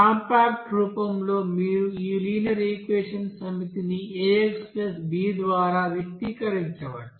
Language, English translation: Telugu, And in compact form you can express this set of linear equations by this aX = b